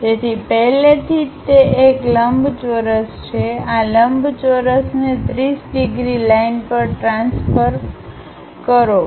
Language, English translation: Gujarati, So, already it is a rectangle, transfer this rectangle onto a 30 degrees line